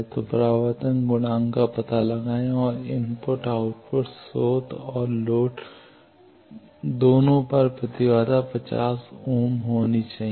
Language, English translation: Hindi, So, find out the reflection coefficient and both at input and output source and load impedance is given to be 50 ohms